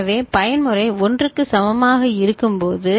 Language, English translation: Tamil, So, when mode is equal to 1 ok